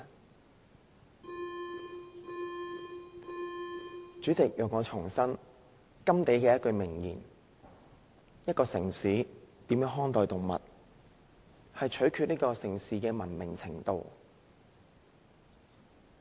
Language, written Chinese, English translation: Cantonese, 代理主席，讓我重申甘地的一句名言，一個城市如何看待動物，取決於這個城市的文明程度。, Deputy President allow me to quote a famous statement by GANDHI The greatness of a nation and its moral progress can be judged by the way its animals are treated